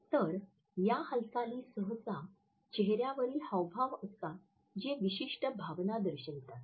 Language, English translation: Marathi, So, they are the movements, usually facial gestures which display specific emotion